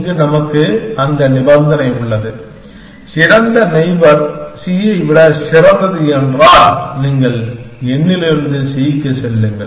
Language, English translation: Tamil, Here, we have that condition, if the best neighbor is better than c, then you move from n to c